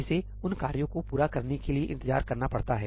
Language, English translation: Hindi, It has to wait for those tasks to complete